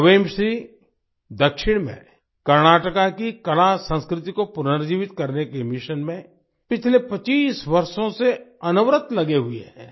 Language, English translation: Hindi, In the South, 'Quemshree' has been continuously engaged for the last 25 years in the mission of reviving the artculture of Karnataka